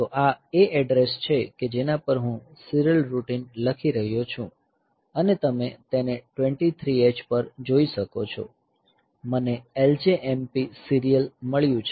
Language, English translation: Gujarati, So, this is the address at which I am writing the serial routine and you see that at 23 hex I have got L J M P serial